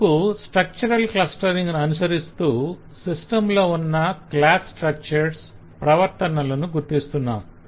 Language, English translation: Telugu, so you are trying to follow a structural clustering and identifying the class structures and behaviours that exist in the system